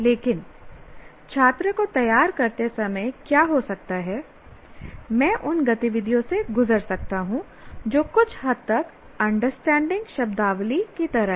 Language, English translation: Hindi, But what may happen is while preparing the student, I may go through activities which are somewhat like I start defining, I introduce terminology